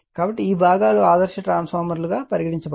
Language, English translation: Telugu, So, this portions call ideal transformers, right